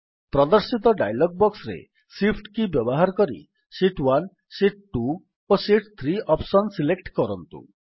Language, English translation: Odia, Now in the dialog box which appears, using shift key we select the options Sheet 1, Sheet 2, and Sheet 3